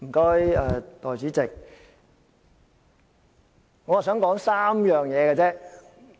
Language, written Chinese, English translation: Cantonese, 代理主席，我只想說3件事。, Deputy President I only wish to make three points